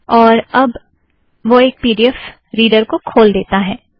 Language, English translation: Hindi, And it has opened the pdf reader